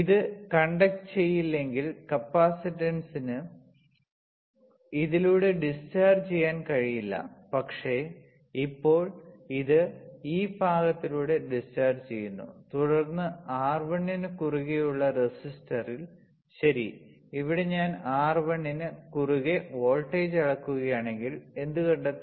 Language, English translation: Malayalam, If it is not conducting capacitor cannot discharge through this, but now it is the discharging through this part and then in the resistor across R1, right, here if I measure voltage across R 1, what will I find